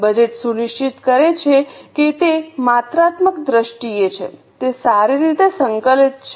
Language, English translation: Gujarati, Budget ensures that it is in quantitative terms, it is well coordinated